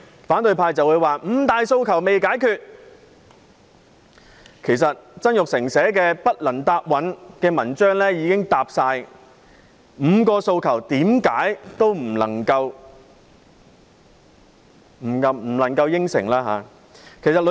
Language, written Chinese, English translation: Cantonese, 反對派接着會說五大訴求仍未解決，其實曾鈺成所寫的題為"不能答允"的文章，已經充分解釋為何不能答應該5項訴求。, The opposition camp would say that the five demands have not been acceded to . In fact in his article entitled Say no to Demands Jasper TSANG explained why the Government could not accede to the five demands